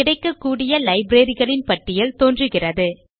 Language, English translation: Tamil, A list of available libraries appears